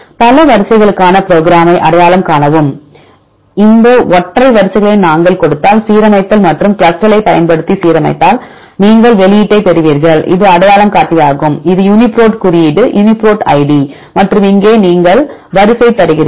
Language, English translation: Tamil, identify and the sequence if you see program for multiple sequence alignment if we give these single sequences and if align using CLUSTAL, then you will get the output this is the identifier this is the UniProt code UniProt id and here you give sequence